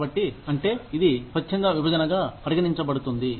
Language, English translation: Telugu, So, that is, it counts as, voluntary separation